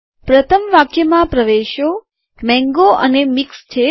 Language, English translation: Gujarati, In the first line, the entries are mango and mixed